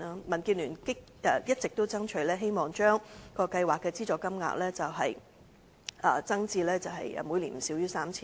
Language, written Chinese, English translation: Cantonese, 民建聯一直爭取將計劃的資助金額增至每年不少於 3,000 元。, It has called for increasing the annual amount of subsidy to no less than 3,000 and lowering the eligibility age to 60